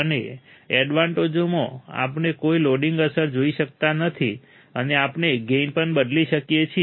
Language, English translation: Gujarati, And in advantage we cannot see any loading effect, and we can also change the gain